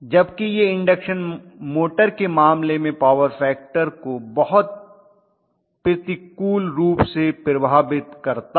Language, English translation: Hindi, Whereas it does affect the power factor in the case of an induction motor very adversely